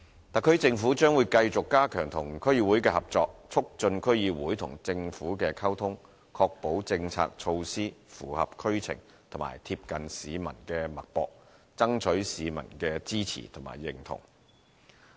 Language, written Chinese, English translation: Cantonese, 特區政府將會繼續加強與區議會的合作，促進區議會與政府的溝通，確保政策措施符合區情和貼近市民的脈搏，爭取市民的支持和認同。, The SAR Government will continue to enhance the cooperation with DCs and facilitate the communication between DCs and the Government to ensure that the policies and measures meet local circumstances and can keep tabs on the pulse of the people thereby gaining support and recognition from the public